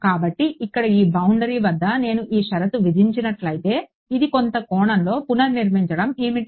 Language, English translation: Telugu, So, at this boundary over here if I impose this condition what does it recreating in some sense